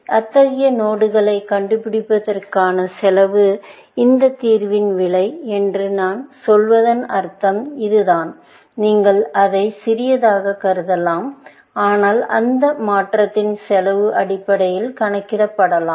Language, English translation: Tamil, So, that is what I mean by saying that the cost of finding such nodes, the cost of this solution is; you can consider it to be small, but that cost of transformation can be counted essentially